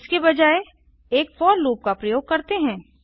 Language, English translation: Hindi, Instead, let us use a for loop